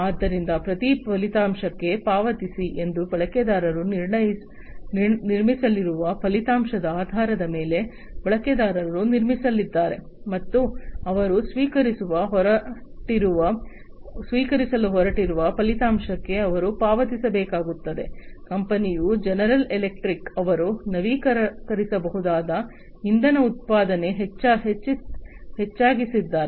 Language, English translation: Kannada, So, pay per outcome means based on the outcome the users are going to be the users are going to be built, and they have to pay per the outcome that they are going to receive, company is like General Electric, they have come up with increased renewable energy production